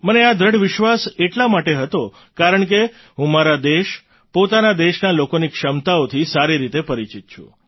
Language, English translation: Gujarati, I had this firm faith, since I am well acquainted with the capabilities of my country and her people